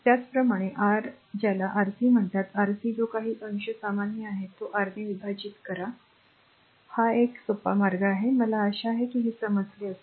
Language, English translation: Marathi, Similarly, for your what you call Rc, Rc whatever numerator is common divided by R 3 just simplest one; I hope you have understood this right